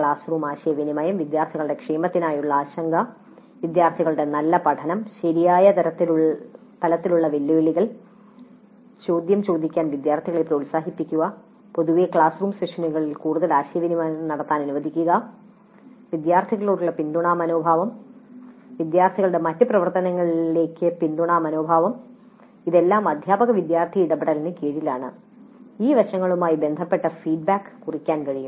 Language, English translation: Malayalam, The classroom communication, concern for the well being of the students, good learning by the students, providing right levels of challenges, encouraging the students to ask questions, in general permitting greater interaction during the classroom sessions, supportive attitude to the students, supportive attitude to other activities of the students, all these come under teacher student interaction